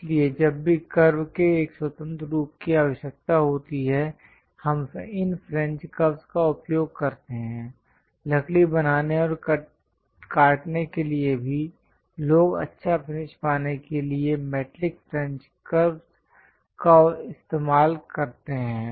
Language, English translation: Hindi, So, whenever a free form of curve is required, we use these French curves; even for wood making and cutting, people use metallic French curves to get nice finish